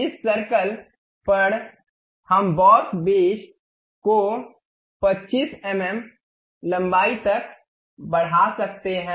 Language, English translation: Hindi, On this circle we can extrude boss base up to 25 mm length